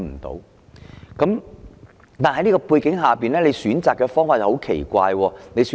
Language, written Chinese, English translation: Cantonese, 在這樣的背景之下，當局選擇的方法是很奇怪的。, Against this background the method chosen by the authorities is very strange